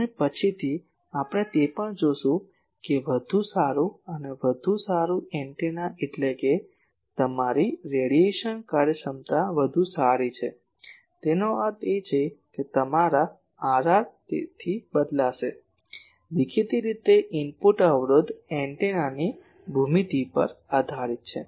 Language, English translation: Gujarati, And later also we will see that better and better antenna means, better your radiation efficiency so; that means, your R r will change so; obviously, input impedance depend on geometry of the antenna